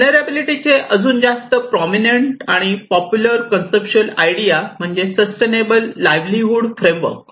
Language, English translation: Marathi, There is another more prominent and very popular conceptual idea of vulnerability is the sustainable livelihood framework